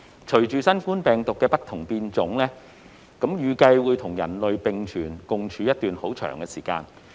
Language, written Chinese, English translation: Cantonese, 隨着新冠病毒不停變種，預計會與人類並存一段長時間。, Noting the emerging variants of the novel coronavirus it is anticipated that the epidemic will co - exist with humankind for a long while